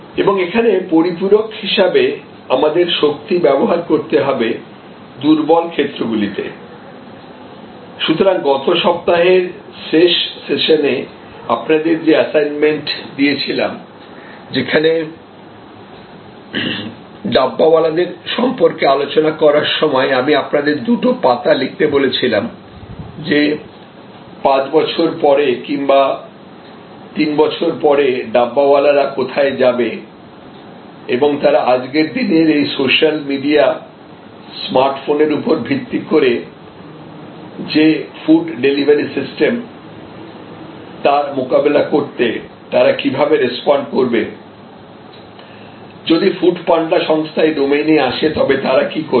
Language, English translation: Bengali, And this is, where we have to use strength to supplement are weaknesses, so when you engage in the assignment, that we discussed in the last session of last week when will looking at this Dabbawalas and I requested you to fill up those two pages about, where the Dabbawalas can go 5 years from now, 3 years from now and what do they need to do to respond to the emerging situations like social media Smartphone based food ordering system, what will they do if people like food panda coming to the domain of the Dabbawalas